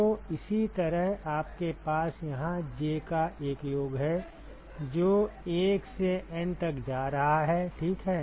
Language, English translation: Hindi, So, similarly you have a summation here j going from 1 to N ok